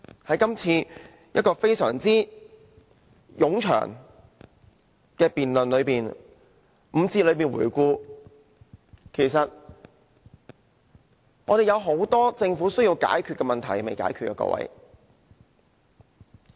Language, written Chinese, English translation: Cantonese, 在今次這個非常冗長的辯論中，回顧5個環節的內容，我們看到有很多問題是政府應解決而未有解決的。, In this extremely long debate we note from the content of the five debate sessions that many problems which the Government should have solved have been left not solved